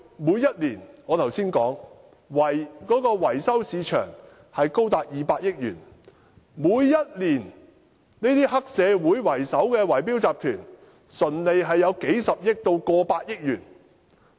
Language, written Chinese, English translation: Cantonese, 我剛才提到，維修市場過去每年市值高達200億元，每年以黑社會為首的圍標集團的純利高達數十億元甚至超過100億元。, As I mentioned just now in the past the maintenance market was worth as much as 20 billion a year . The annual net profit of the bid - rigging syndicates headed by triad members amounts to several billion dollars and even exceeds 10 billion